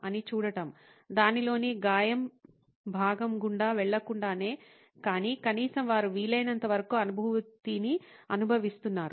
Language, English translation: Telugu, ’ of course without having to go through the trauma part of it but at least what is it that they are experiencing feeling as much as possible